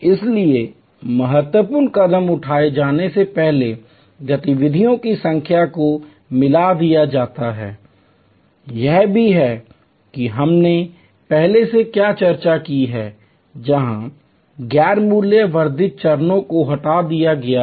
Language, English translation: Hindi, So, number of activities therefore are merged before the critical steps are taken, this is also what we have discussed before, where non value added steps are removed